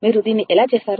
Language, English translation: Telugu, How you will do it, ah